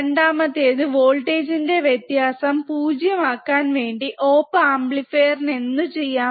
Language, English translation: Malayalam, second is, the op amp will do whatever it can to make the voltage difference between the input 0